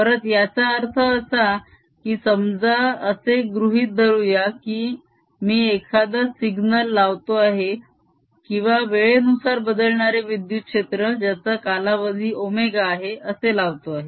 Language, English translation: Marathi, again, what we mean by that is: let's suppose i am applying a signal or electric field which is changing in time, the time period is omega